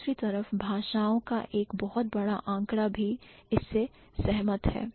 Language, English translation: Hindi, On the other hand, a large number of languages also agree with this